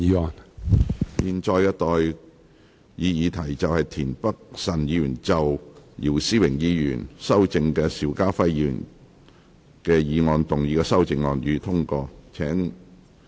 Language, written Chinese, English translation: Cantonese, 我現在向各位提出的待議議題是：田北辰議員就經姚思榮議員修正的邵家輝議員議案動議的修正案，予以通過。, I now propose the question to you and that is That Mr Michael TIENs amendment to Mr SHIU Ka - fais motion as amended by Mr YIU Si - wing be passed